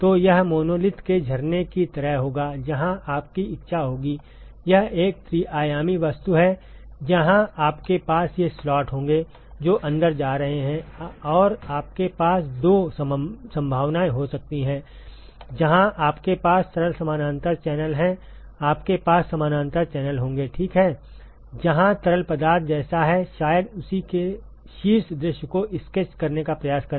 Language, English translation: Hindi, So, this will be like a cascade of monolith, where you will have you will; it is a three dimensional object, where you will have these slots which is going inside and you can have two possibilities; where you have simple parallel channels; you will have parallel channels ok, where the fluid is like probably just try to sketch a top view of that